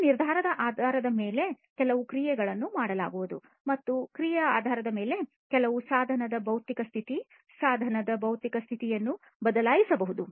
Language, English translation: Kannada, Based on this decision certain action is going to be performed and based on this action, the physical state of certain device, physical state of a device is going to be changed, right